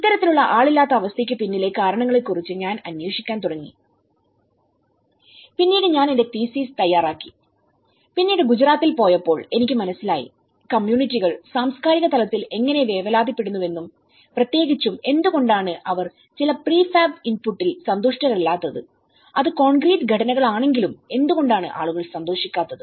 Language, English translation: Malayalam, I started working on the reasons behind these kind of unoccupancy, then, later on I worked on my thesis and then I realized when I went to Gujarat I realized how the communities are worried about the cultural dimension and especially, why they are not happy with certain prefab inputs and though it is concrete structures, why still people would not happy